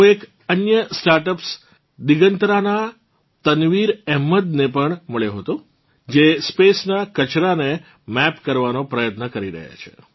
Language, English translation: Gujarati, I also met Tanveer Ahmed of Digantara, another space startup who is trying to map waste in space